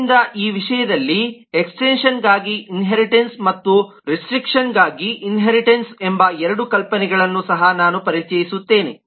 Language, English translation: Kannada, so in terms of this let me also introduce two more notions, that of inheritance for extension and inheritance for restriction